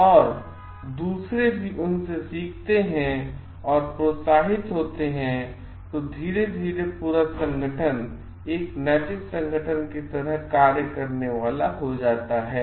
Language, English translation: Hindi, And others are also going to get encouraged and learn from them and slowly the whole organization is going to function like an ethical organization